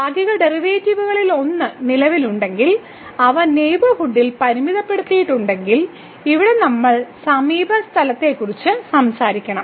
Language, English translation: Malayalam, So, here if one of the partial derivatives exist and is bounded in the neighborhood; so, here we have to talk about the neighborhood